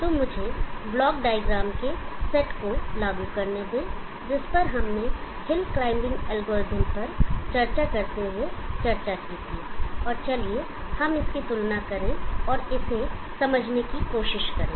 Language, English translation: Hindi, So let me put up the set of block diagram that we had discussed while discussing the hill climbing algorithm and let us compare and try to understand this